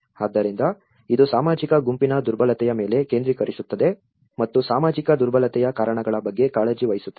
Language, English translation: Kannada, So, it focuses on the vulnerability of a social group and is concerned with the causes of the social vulnerability